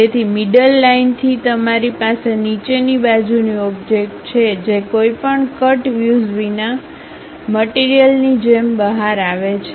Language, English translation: Gujarati, So, from center line you have the bottom back side object which really comes out like a material without any cut view